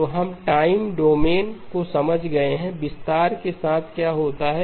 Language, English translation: Hindi, So we have understood the time domain, what happens with the expansion